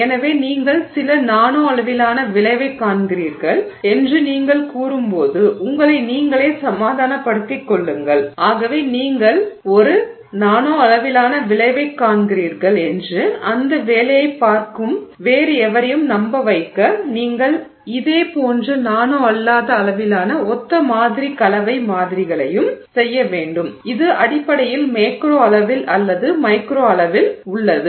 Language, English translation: Tamil, So, when you say that you are seeing some nanoscale effect to convince yourself and therefore to convince anybody else who is looking at that work that you are seeing a nanoscale effect, you also have to make similar composition samples in the non nano scale which is basically in the macro scale or microscale so to speak